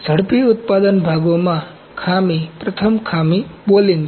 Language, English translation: Gujarati, Defects in rapid manufacturing parts first defect is balling